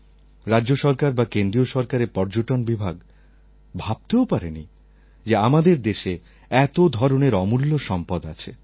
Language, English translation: Bengali, Neither the Government of India nor the state tourism departments were aware of such heritage